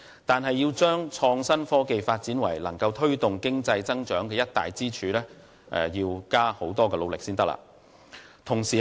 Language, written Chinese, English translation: Cantonese, 但是，要將創新科技發展成為足以推動經濟增長的一大支柱，仍需不斷努力。, But the Government needs to preserve with these measures before it can turn IT development into a major pillar for economic growth